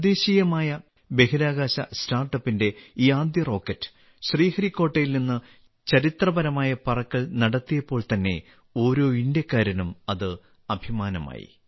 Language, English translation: Malayalam, As soon as this first rocket of the indigenous Space Startup made a historic flight from Sriharikota, the heart of every Indian swelled with pride